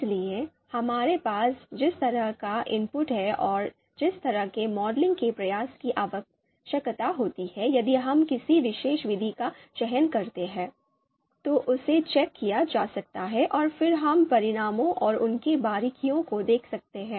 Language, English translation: Hindi, So input the kind of input that we have and the kind of modeling effort if we select a particular method, the kind of modeling effort that would be required that we can that we can check and then looking at the outcomes and their granularity